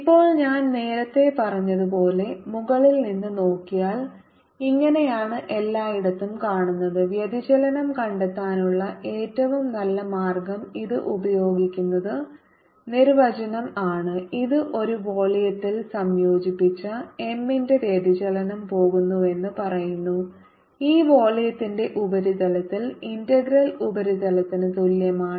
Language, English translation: Malayalam, now, if i look at it from the top, as i said earlier, this is how m looks all over the place and best way to find divergence is using its definition, which says that divergence of m integrated over a volume is going to be equal to the surface integral over the surface of this volume